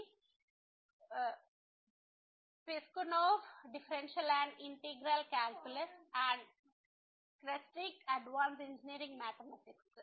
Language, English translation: Telugu, The Piskunov, Differential and Integral Calculus and Kreyszig, Advanced Engineering Mathematics